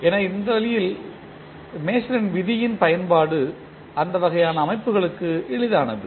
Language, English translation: Tamil, So, in this way the application of Mason’s rule is easier for those kind of systems